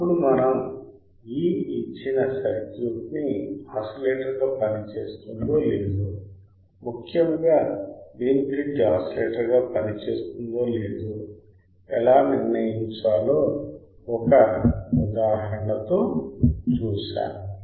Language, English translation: Telugu, Then we have seen an example how we can solve or how we can determine whether a given circuit will work as an oscillator or not that to particularly Wein bridge oscillator right